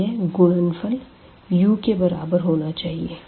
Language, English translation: Hindi, So, this if you multiply u to this 1